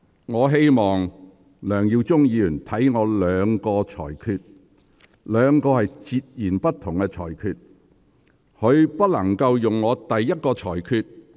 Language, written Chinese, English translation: Cantonese, 我希望梁議員細看我的兩項裁決，該兩項裁決是截然不同的。, I hope Mr LEUNG will have a detailed look at my two rulings which are completely different